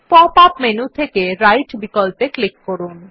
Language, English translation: Bengali, In the pop up menu, click on the Right option